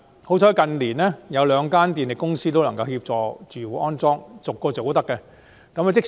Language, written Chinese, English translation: Cantonese, 幸好近年兩間電力公司都願意為屋苑安裝充電設施。, Fortunately in recent years the two power companies are willing to install charging facilities in housing estates